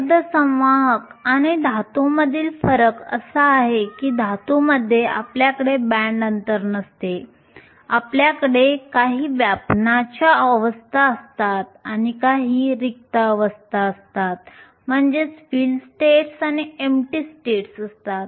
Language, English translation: Marathi, The difference between a semiconductor and a metal is that in a metal we do not have a band gap we have some fill states and we have some empty states